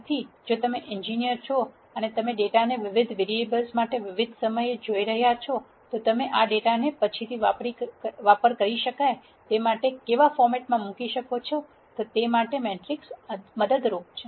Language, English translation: Gujarati, So, if you are an engineer and you are looking at data for multiple variables, at multiple times, how do you put this data together in a format that can be used later, is what a matrix is helpful for